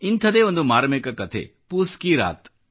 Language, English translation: Kannada, Another such poignant story is 'Poos Ki Raat'